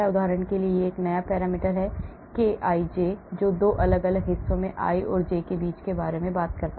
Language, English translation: Hindi, for example this is the new parameter kij which talks about interaction between 2 different stretches, i and j